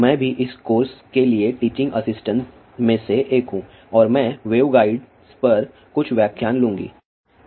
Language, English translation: Hindi, I am also one of the TA's for this course, and I will take few lectures on waveguides